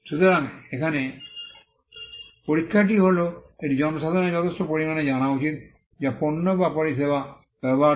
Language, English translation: Bengali, So, the test here is that it should be known to the substantial segment of the public which uses the goods or services